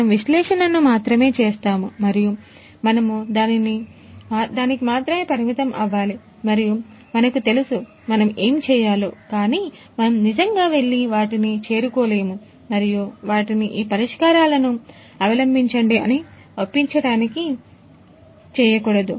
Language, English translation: Telugu, We will only do the analysis ourselves and we want to restrict to that only and I know so, that way you know so, we know that what has to be done, but we really do not go and reach out to them and try to convince them to adopt these solutions